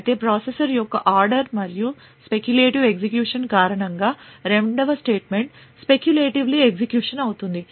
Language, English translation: Telugu, So however due to the out of order and speculative execution of the processor the second statement would be speculatively executed